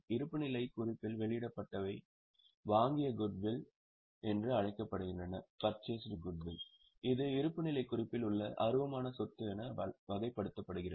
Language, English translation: Tamil, What is disclosed in the balance sheet is called as a purchased goodwill which is classified as intangible asset in the balance sheet